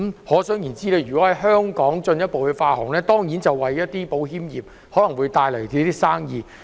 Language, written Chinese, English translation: Cantonese, 可想而知，如果可以在香港進一步發行，當然會為保險業帶來生意。, It is therefore conceivable that if the issuance of such bonds can be further developed in Hong Kong of course they will bring business opportunities to the insurance industry